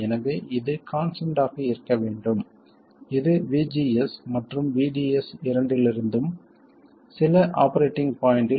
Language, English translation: Tamil, So this must be constant it should be independent of both VGS and VDS at some operating point